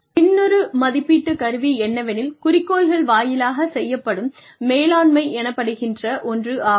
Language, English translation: Tamil, Another appraisal instrument is called management by objectives